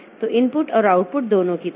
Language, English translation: Hindi, So, like that, both input and output